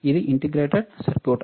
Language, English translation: Telugu, Yes, it is also integrated circuit